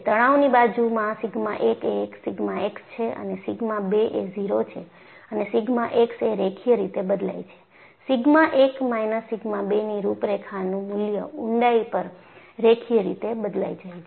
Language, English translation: Gujarati, In the tension side, sigma 1 is sigma x and sigma 2 is 0, and since sigma x varies linearly, sigma 1 minus sigma 2 contour value has to vary linearly over the depth